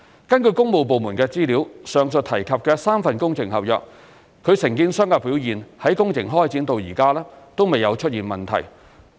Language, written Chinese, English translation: Cantonese, 根據工務部門的資料，上述提及的3份工程合約，其承建商的表現在工程開展至今未有出現問題。, According to the works departments there has been no problem with the contractors performance in the three works contracts mentioned above